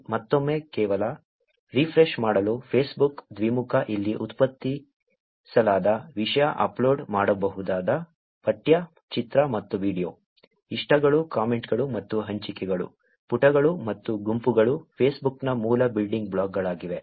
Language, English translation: Kannada, Again, just to refresh, Facebook, bidirectional, content that are produced here – text, image and video which can be uploaded, likes, comments and shares, pages and groups are the basic building blocks of Facebook